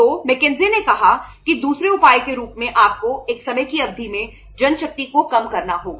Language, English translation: Hindi, So McKenzie said as a second measure you have to reduce the manpower over a period of time